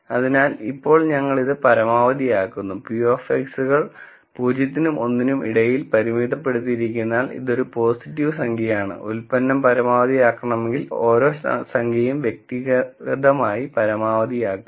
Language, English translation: Malayalam, So, now when we maximize this, then since p of X s are bounded between 0 and 1, this is a positive number, this is a positive number, positive number positive number and, if the product has to be maximized, then each number has to be individually maximized